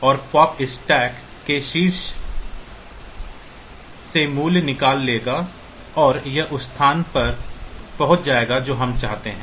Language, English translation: Hindi, And the pop will take out the value from the top of the stack and get into the location that we want